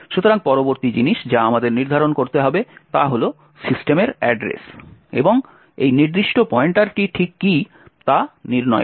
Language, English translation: Bengali, So, the next thing that we need to do determine is the address of system and what exactly is this particular pointer